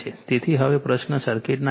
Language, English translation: Gujarati, So, now question is impedance of the circuit